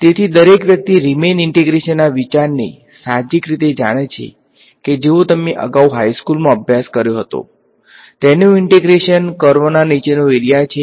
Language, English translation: Gujarati, So, everyone knows intuitively the idea of Riemann integration that you studied earlier in high school probably, its integration is area under the curve right